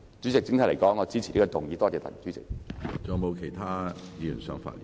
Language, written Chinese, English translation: Cantonese, 主席，整體而言，我支持這項議案，多謝主席。, President generally speaking I support the motion . Thank you President